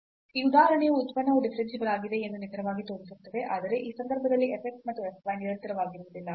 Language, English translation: Kannada, So, this example precisely shows that the function is differentiable, but f x and f y are not continuous in this case